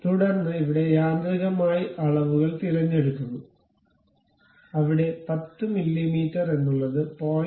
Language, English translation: Malayalam, Then it picks automatic dimensions where 10 mm you can really give it something like 0